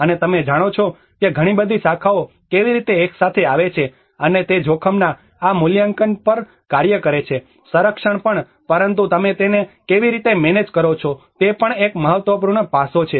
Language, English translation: Gujarati, \ \ And you know that is how a lot of disciplines come together and they work on this assessment of the risk as well, also the conservation but how you manage it is also an important aspect